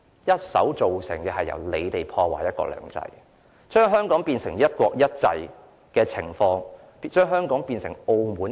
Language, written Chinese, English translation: Cantonese, 建制派議員一手破壞"一國兩制"，把香港變成"一國一制"，變成今天的澳門。, By ruining the principle of one country two systems and turning it into one country one system the pro - establishment Members are turning Hong Kong into Macao